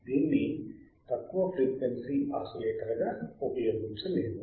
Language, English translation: Telugu, It cannot be used as lower frequency oscillator